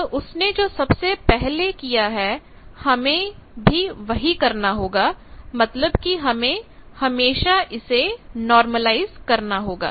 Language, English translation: Hindi, So what he has done first we will have to do that you normalize that is always to be done